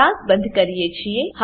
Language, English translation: Gujarati, Here we close the class